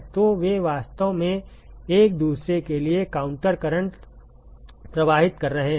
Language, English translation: Hindi, So, they are actually flowing counter current to each other